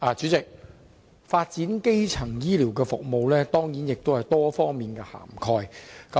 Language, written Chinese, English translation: Cantonese, 主席，"發展基層醫療服務"當然要涵蓋很多方面。, President many aspects certainly need to be covered for developing primary healthcare services